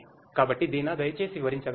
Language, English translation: Telugu, So, Deena could you please explain